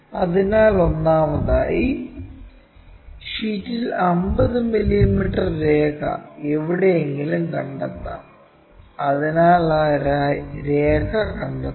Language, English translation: Malayalam, So, first of all let us locate 50 mm line on the sheet somewhere there, so locate that line